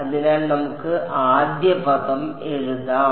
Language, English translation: Malayalam, So, let us write out the first term